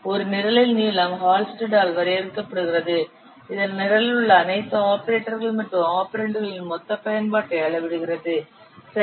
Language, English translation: Tamil, The length of a program as defined by Hull Street, it quantifies the total usage of all operators and the operands in the program